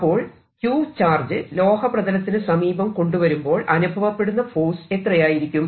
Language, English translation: Malayalam, now what about the force on this charge if it is brought in front of a metal surface